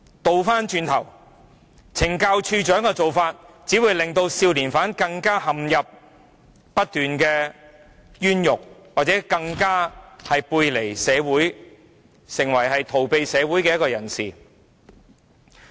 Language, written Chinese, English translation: Cantonese, 相反，署長卻任由少年犯不斷陷入冤獄，使他們背離社會，成為逃避社會的人。, Quite the contrary the Commissioner allows juvenile prisoners to face injustice continuously and this has driven them to turn away and escape from society